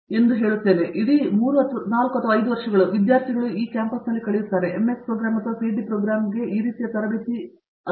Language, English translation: Kannada, So, that is why the whole 3 or 4 or 5 years, the time that is the students spends here, for either an MS program or a PhD program is basically towards this kind of training